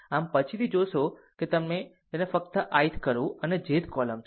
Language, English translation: Gujarati, So, later we will see that you just strike it of ith throw and jth column